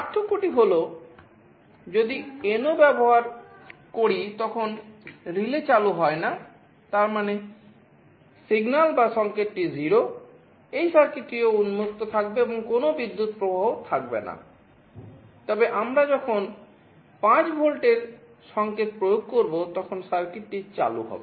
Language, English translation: Bengali, The difference is that if we use NO then when the relay is not on; that means, the signal is 0, this circuit will also be open and there will be no current flowing, but when we apply a signal of 5 volts, this circuit will be turning on